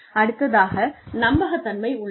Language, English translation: Tamil, Then, there is reliability